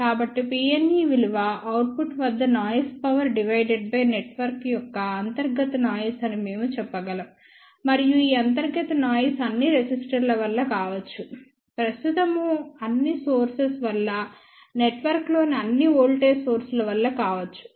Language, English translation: Telugu, So, we can say that P n e is noise power at output by internal noise of the network, and this internal noise can be due to all the resistors, due to all the current sources, due to all the voltage sources within the network